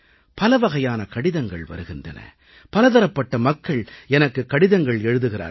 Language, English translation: Tamil, I get a variety of letters, written by all sorts of people